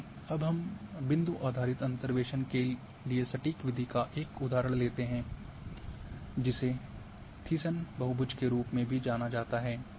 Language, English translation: Hindi, Let us take a one example of exact method for point based interpolation which is also known as the Thiessen polygon